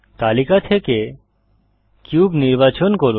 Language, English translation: Bengali, Select cube from the list